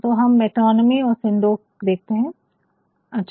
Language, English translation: Hindi, So, let us have a look at metonymy and synecdoche fine